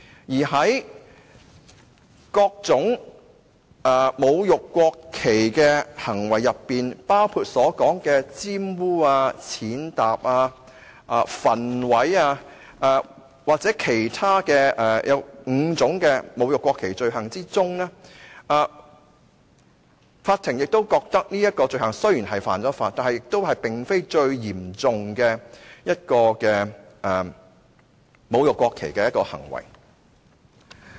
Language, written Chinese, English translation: Cantonese, 再者，在各種侮辱國旗的行為當中，包括玷污、踐踏、焚毀或其他侮辱國旗的罪行當中，法庭亦認為這種罪行雖然是犯法，但也並非最嚴重的侮辱國旗行為。, Further among the various acts of desecration of the national flag including defiling trampling on burning or other acts of desecration of the national flag the Court considered that this act despite being an offence was not the most severe act of desecration of the national flag